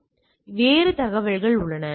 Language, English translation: Tamil, So, that there is a other information